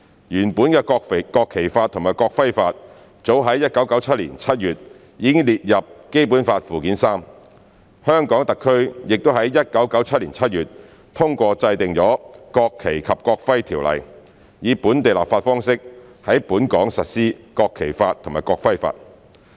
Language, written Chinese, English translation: Cantonese, 原本的《國旗法》及《國徽法》早於1997年7月已列入《基本法》附件三，香港特區已於1997年7月通過制定《國旗及國徽條例》，以本地立法方式在本港實施《國旗法》及《國徽法》。, The existing National Flag Law and the National Emblem Law have already been listed in Annex III to the Basic Law in July 1997 . The National Flag Law and the National Emblem Law have been applied locally by legislation through the enactment of the National Flag and National Emblem Ordinance NFNEO in July 1997